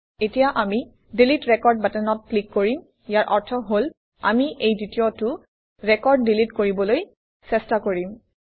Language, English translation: Assamese, Good, let us now click on the Delete Record button, meaning, we are trying to delete this second record